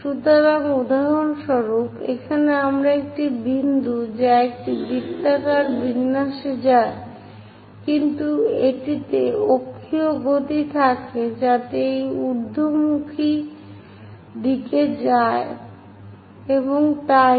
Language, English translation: Bengali, So, for example, here a point which goes in a circular format, but it has axial motion also, so that it rises upward direction and so on